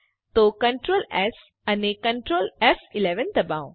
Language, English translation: Gujarati, So press Ctrl, S and Ctrl, F11